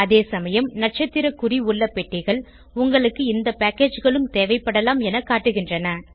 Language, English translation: Tamil, Whereas checkboxes with star marks, indicate that you may need these packages, as well